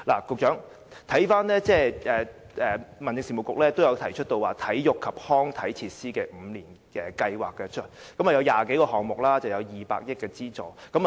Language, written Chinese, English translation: Cantonese, 局長，翻看資料，民政事務局曾提出有關體育及康體設施的5年計劃，涉及20多個項目及200億元資助。, Secretary looking up the information I note that the Home Affairs Bureau has put forward a five - year plan concerning sports and recreational facilities before . The plan involves some 20 projects and a funding of 20 billion